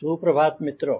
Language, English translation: Hindi, good afternoon friends